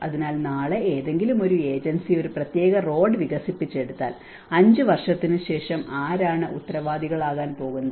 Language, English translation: Malayalam, So, tomorrow if some agency have developed a particular road and who is going to responsible after 5 years it gets damaged